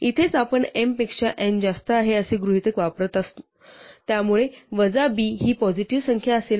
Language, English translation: Marathi, This is where we are using the assumption that m is greater than n, so a minus b will be a positive number